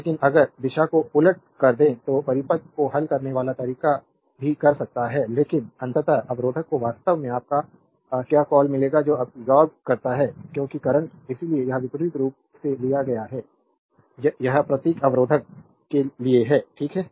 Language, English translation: Hindi, But if we reverse the direction also method solving circuit one can do it, but ultimately we will find resistor actually your what you call that absorbing power because current, that is why this conversely is taken this symbol is for resistor, right